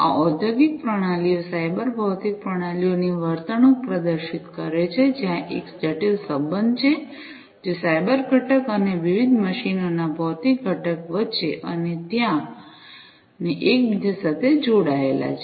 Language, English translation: Gujarati, These industrial systems exhibit the behavior of cyber physical systems, where there is an intricate relationship, that is there between the cyber component and the physical component of the different machines and there and the interconnected ones